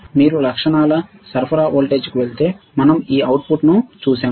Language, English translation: Telugu, If you go to the characteristics supply voltage we have seen this output